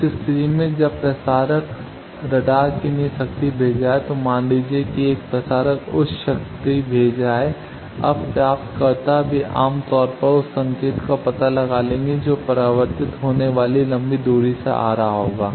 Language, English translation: Hindi, In that case, when the transmitter is sending power for radar, suppose a transmitter is sending high power now receivers they are generally will detect that signal which will be going coming from a long distance reflected